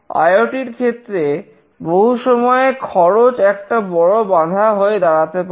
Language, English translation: Bengali, For many IoT application, the cost can be a major issue